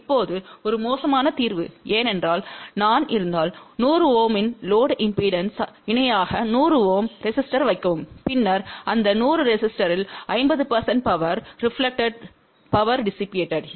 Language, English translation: Tamil, Now, that is a bad solution because if I put a 100 Ohm resistor in parallel with load impedance of 100 Ohm , then 50 percent power will get dissipated in that 100 Ohm resistor